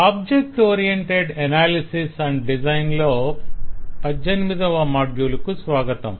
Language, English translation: Telugu, welcome to module 18 of object oriented analysis and design